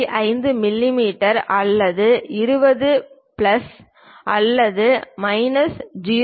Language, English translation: Tamil, 5 mm or perhaps something like 20 plus or minus 0